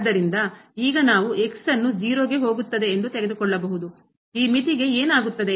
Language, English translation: Kannada, So, now, we can take that goes to , what will happen to this limit